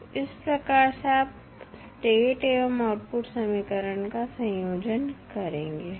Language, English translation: Hindi, So, this is how you compile the state and the output equations